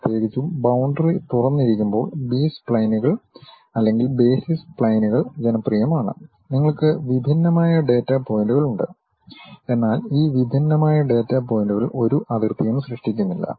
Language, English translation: Malayalam, Especially, the B splines the basis splines are popular when boundaries are open, you have discrete data points, but these discrete data points are not forming any boundary